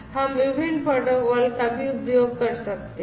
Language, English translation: Hindi, There are many other protocols that are also there